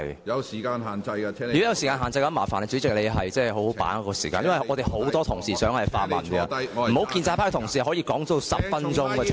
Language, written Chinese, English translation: Cantonese, 如果有時間限制，請主席好好把握時間，因為很多同事也想發問，不應容許一名建制派同事的質詢時間長達10分鐘。, If so President please exercise better time management . You should not allow a question raised by a pro - establishment Member to last as long as 10 minutes